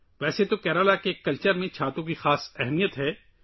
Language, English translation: Urdu, In a way, umbrellas have a special significance in the culture of Kerala